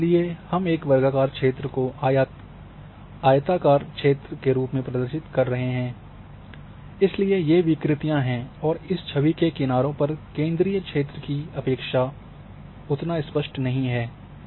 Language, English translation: Hindi, And therefore, you are you are covering the rectangular area which you are representing as a square area in an image and therefore these distortions are there and clarity of an image on the margin or in the border is not as good as in the centre